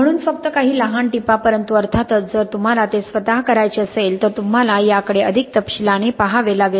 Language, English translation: Marathi, So just some small tips but of course, you have to really look at this in more detail if you want to do it yourself